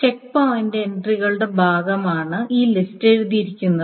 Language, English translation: Malayalam, So this list is written as part of the checkpoint entry